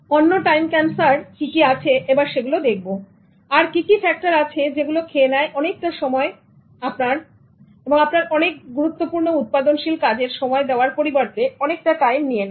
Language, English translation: Bengali, What are other factors of time that will eat time and consume it without giving time for you for very highly productive activities